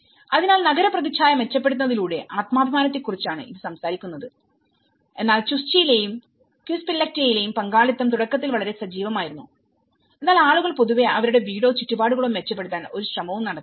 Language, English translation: Malayalam, So, that is talking about the self esteem by improving an urban image whereas in Chuschi and Quispillacta, participation was very active initially but the people, in general, are not making any effort to improve their homes or their surroundings